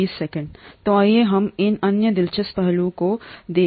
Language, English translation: Hindi, So let us look at this other interesting aspect